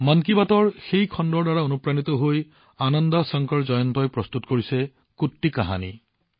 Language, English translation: Assamese, Inspired by that program of 'Mann Ki Baat', Ananda Shankar Jayant has prepared 'Kutti Kahani'